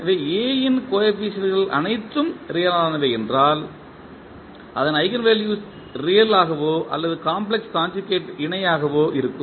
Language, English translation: Tamil, So, if the coefficients of A are all real then its eigenvalues would be either real or in complex conjugate pairs